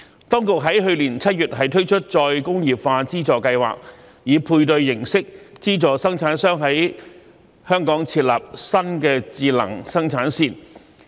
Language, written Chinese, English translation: Cantonese, 當局在去年7月推出再工業化資助計劃，以配對形式資助生產商在香港設立新的智能生產線。, The Government launched the Re - industrialisation Funding Scheme in July last year to subsidize manufacturers to set up new smart production lines in Hong Kong on a matching basis